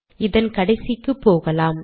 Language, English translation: Tamil, Lets go to the end